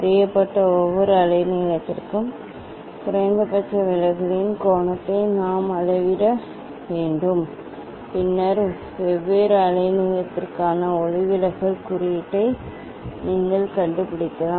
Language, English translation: Tamil, For each wavelength known wavelength, we have to measure the angle of minimum deviation Then you can find out the refractive index for different wavelength